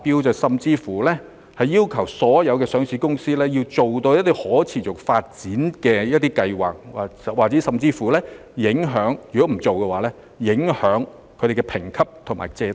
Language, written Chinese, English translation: Cantonese, 有政府甚至要求所有上市公司提交可持續發展計劃，否則他們的評級和借貸申請將會受到影響。, Some governments have even required all listed companies to submit proposals for sustainable development goals otherwise their ratings and loan applications will be affected